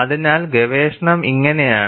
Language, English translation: Malayalam, So, this is how research proceeded